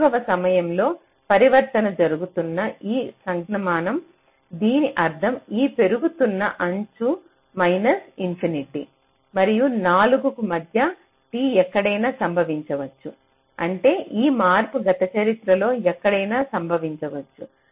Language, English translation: Telugu, four, this means that this rising edge can occur anywhere between t equal to minus infinity, and four, that means this change can occur anywhere in the past history